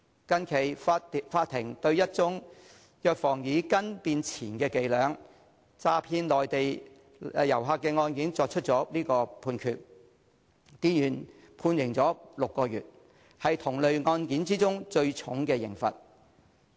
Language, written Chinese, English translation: Cantonese, 最近，法庭對一宗藥房以"斤"變"錢"的伎倆詐騙內地旅客的案件作出判決，店員被判刑6個月，為同類案件中最重的刑罰。, Recently an employee of a pharmacy who deceived a Mainland visitor by changing the pricing unit from catty to mace was sentenced to six months imprisonment the heaviest sentence in cases of the type